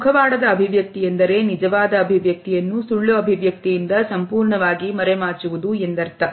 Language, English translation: Kannada, A masked expression is when a genuine expression is completely masked by a falsified expression